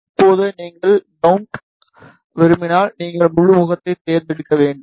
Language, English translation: Tamil, Now, suppose if you want to make ground, so you need to select one face